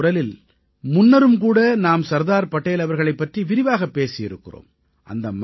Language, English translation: Tamil, Earlier too, we have talked in detail on Sardar Patel in Mann Ki Baat